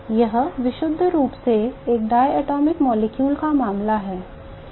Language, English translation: Hindi, This is purely the case of a diatomic molecule